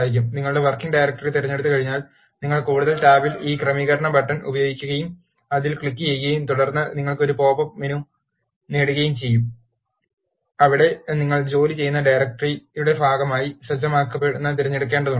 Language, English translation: Malayalam, Once you choose your working directory, you need to use this setting button in the more tab and click it and then you get a popup menu, where you need to select Set as working directory